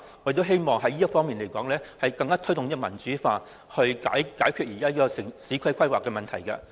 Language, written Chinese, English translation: Cantonese, 我希望可以在這方面推動民主化，以解決現時的市區規劃問題。, I would like to promote democratization in this respect so as to solve the existing urban planning problems